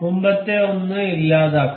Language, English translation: Malayalam, Let us delete the earlier one